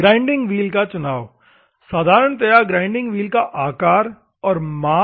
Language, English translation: Hindi, Selection of the grinding wheel: normally shape and size of the grinding wheel